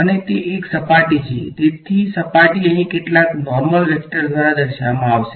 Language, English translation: Gujarati, And it is a surface; so surface is going to be characterized by some normal vector over here ok